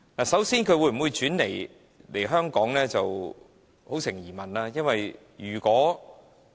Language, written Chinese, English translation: Cantonese, 首先，那些公司會否轉移來港是一大疑問，因為如果......, First there is a big question as to whether these companies will shift their businesses to Hong Kong as probably I should put it in another way